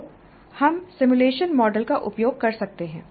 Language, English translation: Hindi, What are the context in which simulation can be used